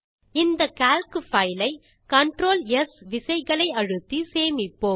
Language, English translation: Tamil, Lets save this Calc file by pressing CTRL and S keys together